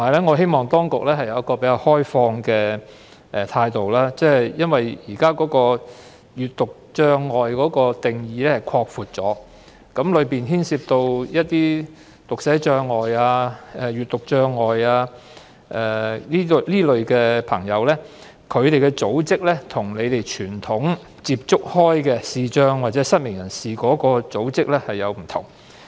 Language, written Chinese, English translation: Cantonese, 我希望當局能持較開放的態度，因為現時視力障礙的定義已經擴闊，當中涉及有讀寫障礙或閱讀障礙的人士，而他們所屬的組織與政府傳統接觸的視障或失明人士組織有所不同。, I hope the authorities will be more open - minded given that the current definition of visual impairment has been broadened to cover persons with dyslexia or reading disabilities whose affiliated groups are different from the organizations representing blind or visually impaired persons with which the Government has traditionally engaged